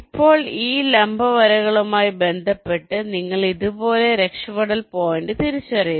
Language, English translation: Malayalam, now, with respect to these perpendicular lines, you identify escape point like this: you see this line s one